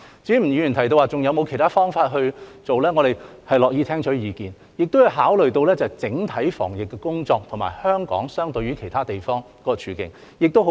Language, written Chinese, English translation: Cantonese, 至於吳議員提及是否還有其他方法處理，我們樂意聽取意見，也要考慮到整體防疫工作，以及相對於其他地方香港的處境為何。, As to the question raised by Mr NG about whether there are other solutions we are willing to listen to views and in addition we have to consider the epidemic prevention efforts as a whole as well as the situation of Hong Kong in comparison with other places